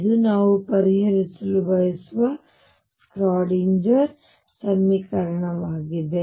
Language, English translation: Kannada, This is a Schrödinger equation that we want to solve